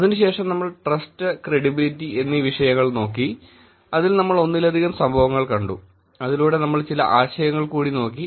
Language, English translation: Malayalam, After that we looked at the topic Trust and Credibility, in that we looked at multiple events; through the events we looked at some concepts